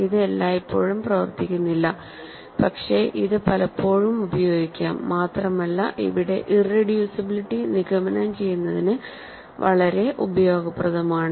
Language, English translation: Malayalam, It does not always work, but it works often and it is very useful to conclude that, irreducibility here